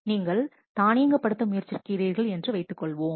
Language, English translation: Tamil, Suppose you are trying to automate